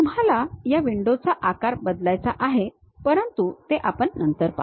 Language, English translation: Marathi, You want to change the size of this window which we will see it later